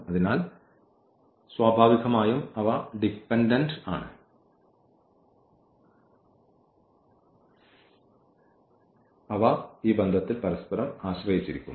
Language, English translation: Malayalam, So, naturally they are dependent, they are not independent and they depend on each other with this relation